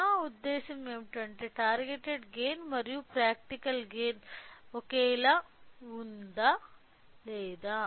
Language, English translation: Telugu, What I mean the practical gain and the targeted gain are same or not